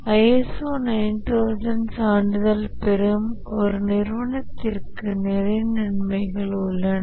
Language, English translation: Tamil, There are lots of benefits to an organization who gets ISO 9,000 certification